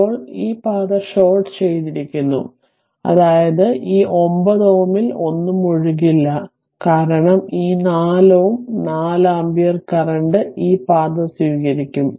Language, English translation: Malayalam, Now, this is shorted this path is shorted right, that means this 9 ohm nothing will flow, because this 4 ohm ah 4 ampere current will take this path will take this path